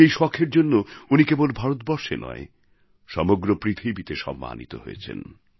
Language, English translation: Bengali, Today, due to this hobby, he garnered respect not only in India but the entire world